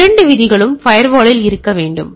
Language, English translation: Tamil, So, both the rules should be should be there in the firewall